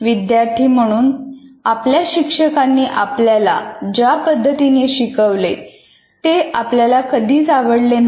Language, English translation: Marathi, And as students, we did not like the way our most of our teachers taught